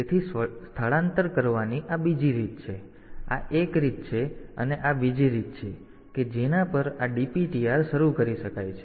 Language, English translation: Gujarati, So, this is another way of doing the movement this is one way and also this is another way at which this DPTR can be initialized